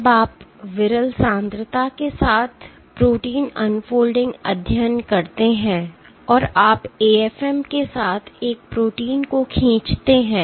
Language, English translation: Hindi, When you do protein unfolding studies with sparse concentration and you pull a protein with an AFM